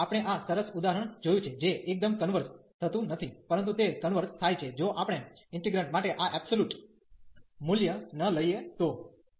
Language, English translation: Gujarati, And we have seen this nice example which does not converge absolutely, but it converges, if we do not take this absolute value for the integrant